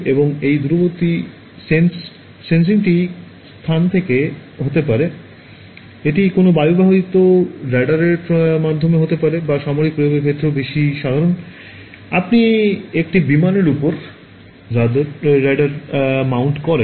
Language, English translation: Bengali, And, this remote sensing could be from space, it could be via an airborne radar as well which is more common in the case of military application, you mount the radar on an aircraft